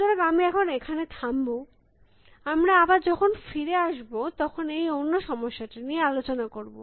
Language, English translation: Bengali, So, I will stop here now, we will when we come back, we will look at what this other problem is